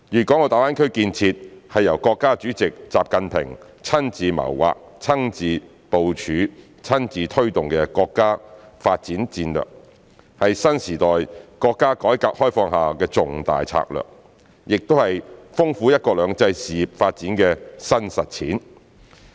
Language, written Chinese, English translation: Cantonese, 大灣區建設是由國家主席習近平親自謀劃、親自部署、親自推動的國家發展戰略，是新時代國家改革開放下的重大策略，也是豐富"一國兩制"事業發展的新實踐。, The development of GBA is a national strategy personally devised personally planned and personally driven by President Xi Jinping . It is not only a key development strategy in the countrys reform and opening up in the new era but also a further step in taking forward the implementation of one country two systems